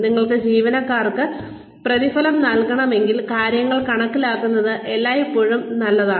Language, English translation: Malayalam, If you want to reward employees, it is always nice to quantify things